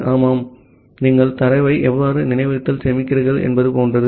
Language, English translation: Tamil, Yeah, it is like how you are storing the data in the memory